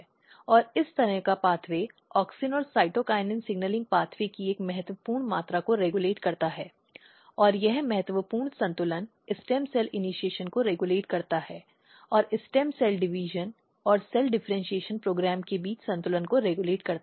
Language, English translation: Hindi, And this kind of pathway regulating a critical amount of auxin and cytokinin signaling pathway and this critical balance is regulating stem cell initiation and a balance between stem cell division and cell differentiation program